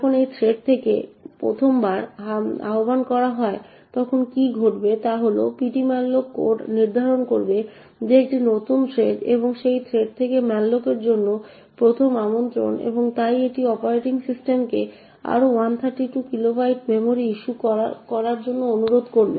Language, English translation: Bengali, When the malloc from this thread gets invoked for the 1st time what would happen is that the ptmalloc code would determining that this is a new thread and is the 1st invocation to malloc from that thread and therefore it will request the operating system to issue another 132 kilobytes of memory